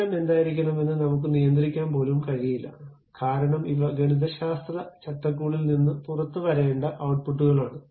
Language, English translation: Malayalam, I cannot even control what should be the center, because these are the outputs supposed to come out from that mathematical framework